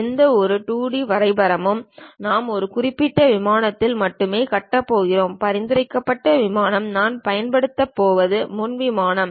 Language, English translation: Tamil, Any 2D drawing we are going to construct only on that one particular plane and the recommended plane what we are going to use is frontal plane